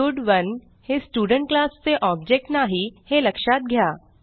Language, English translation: Marathi, Please note that stud1 is not the object of the Student class